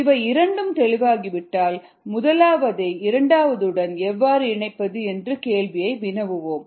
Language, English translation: Tamil, then we will ask the question: how do we connect the first one with the second one